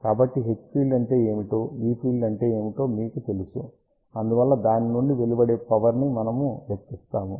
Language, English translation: Telugu, So, we know what is E field you know what is a H field, so from that we calculate what is the power radiated